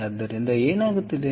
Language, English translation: Kannada, ok, so what is happening